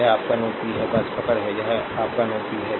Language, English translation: Hindi, This is your node p , just hold on, this is your node p